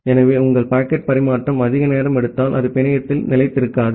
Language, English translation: Tamil, So, if your packet transfer takes too much of time, that will not sustain in the network